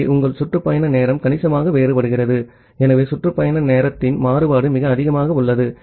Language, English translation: Tamil, So, your round trip time varies significantly so the variance in round trip time it is very high